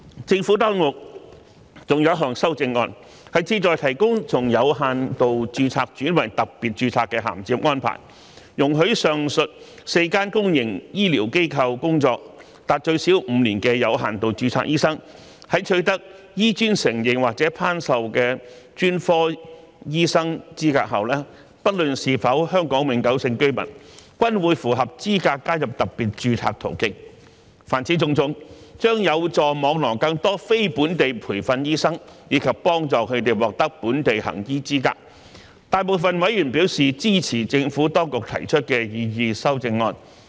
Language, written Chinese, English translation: Cantonese, 政府當局還有一項修正案，旨在提供從有限度註冊轉為特別註冊的銜接安排，容許在上述4間公營醫療機構工作達最少5年的有限度註冊醫生，在取得醫專承認或頒授的專科醫生資格後，不論是否香港永久性居民，均會符合資格加入特別註冊途徑。凡此種種，將有助網羅更多非本地培訓醫生，以及幫助他們獲得本地行醫資格，大部分委員表示支持政府當局提出的擬議修正案。, There is another amendment from the Government to provide bridging from limited registration to special registration so that limited registration doctors who have worked in the four aforesaid public healthcare institutions for at least five years will be eligible to migrate to the special registration route after they have obtained specialist qualification recognized or awarded by HKAM irrespective of whether they are HKPRs . As all these initiatives can help cast a wider net in attracting NLTDs and facilitate them to become qualified to practise in Hong Kong most of the members showed their support to the proposed amendments of the Government